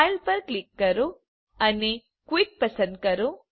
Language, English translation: Gujarati, Click on File and choose Quit